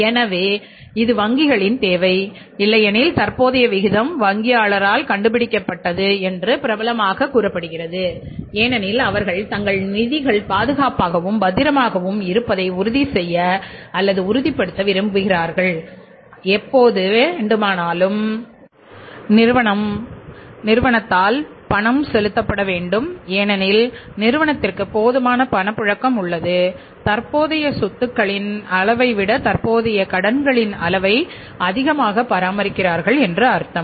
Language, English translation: Tamil, This is a requirement of the banks and otherwise also it is popularly said that current ratio is invented by the bankers because they want to make sure that their funds are safe and secured and they have sufficient reasons to believe that any time our funds will become due to be paid by the firm, firm has the sufficient liquidity because they are maintaining the level of current assets more than the current liabilities